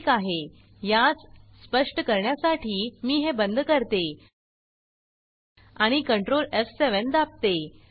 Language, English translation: Marathi, Okay let me just, to make it clear, lets close this and do control f7